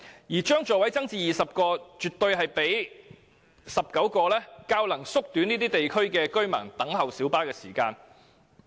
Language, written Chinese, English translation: Cantonese, 因此，將小巴座位增至20個，絕對比19個座位較能縮短這些地區居民等候小巴的時間。, Thus increasing the seating capacity of light buses to 20 instead of 19 will surely shorten the waiting time of residents